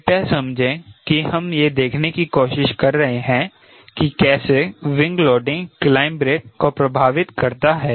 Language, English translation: Hindi, we understand we are trying to see how wing loading is going to affect rate of climb